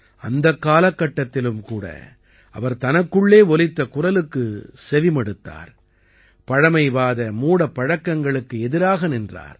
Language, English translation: Tamil, Even during that period, she listened to her inner voice and stood against conservative notions